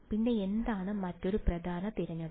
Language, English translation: Malayalam, Then what is the other important choice